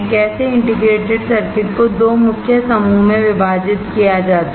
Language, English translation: Hindi, How integrated circuits are divided into 2 main group